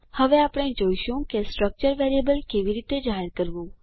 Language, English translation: Gujarati, Now we will see how to declare a structure variable